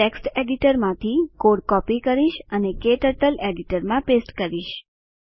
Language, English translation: Gujarati, Let me copy the program from text editor and paste it into KTurtle editor